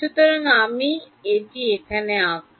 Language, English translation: Bengali, So, I will draw this here